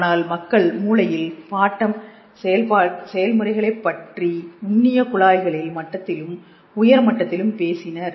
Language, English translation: Tamil, But people have talked of quantum processes in the brain both at the level of microscopic tubules and at a higher level